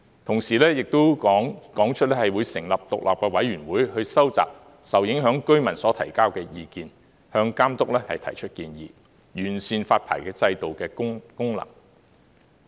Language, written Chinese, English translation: Cantonese, 同時，亦表示會成立獨立委員會收集受影響居民所提交的意見，向監督提出建議，完善發牌制度的功能。, At the same time the Government indicates that it will set up an independent panel to collect the views submitted by affected residents through local consultations and make recommendations to the Authority with a view to improving the existing licensing regime